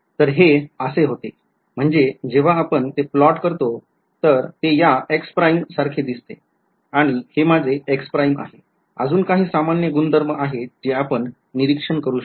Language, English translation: Marathi, So, this was the you know when we plot it looks like something like this x prime and this is my x prime and so there are some general properties that you will observe